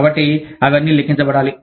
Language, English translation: Telugu, So, all of that, has to be accounted for